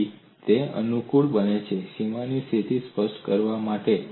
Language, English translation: Gujarati, It is convenient for me to specify the boundary condition